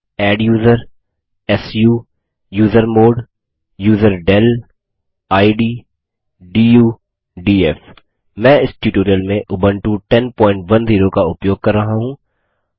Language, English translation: Hindi, adduser su usermod userdel id du df I am using Ubuntu 10.10 for this tutorial